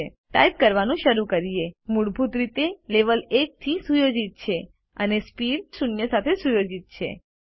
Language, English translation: Gujarati, Now, let us start typing By default, the Level is set to 1 and the Speed is set to zero